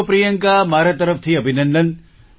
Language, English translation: Gujarati, Well, Priyanka, congratulations from my side